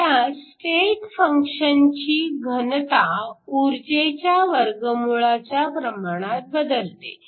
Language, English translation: Marathi, Now, the density of the state function increases as square root of the energy